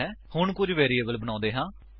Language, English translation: Punjabi, Let us create some variables